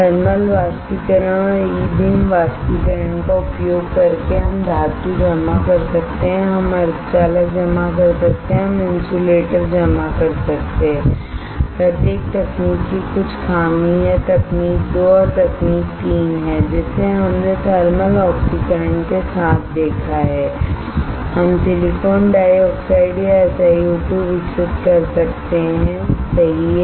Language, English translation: Hindi, Using thermal evaporation and E beam evaporation, we can deposit metal, we can deposit semiconductor, we can deposit insulator there is some drawback of each technique of each technique that is technique 2 and technique 3 that we have seen with thermal oxidation we can grow silicon dioxide or SiO2 right